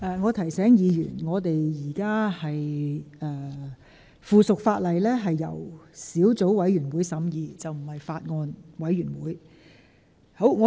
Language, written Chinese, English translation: Cantonese, 我提醒議員，附屬法例是由小組委員會而非法案委員會審議。, I shall remind Members that items of subsidiary legislation are scrutinized by Subcommittees rather than Bills Committees